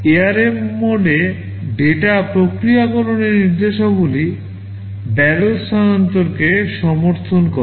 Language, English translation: Bengali, Data processing instructions in ARM mode supports barrel shifting